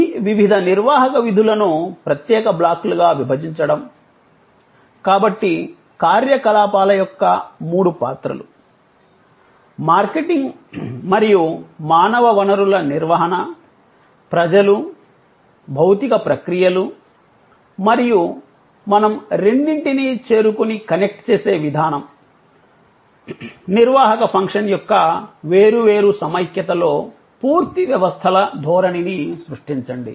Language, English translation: Telugu, To think of these various managerial functions as separate blocks, so three roles of operations, marketing and human resource management, people, physical processes and the way we reach out and connect the two, create a complete systems orientation, in separable togetherness of the managerial function